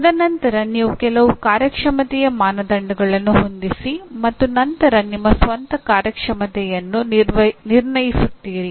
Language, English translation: Kannada, And then you set some performance criteria and then you judge your own performance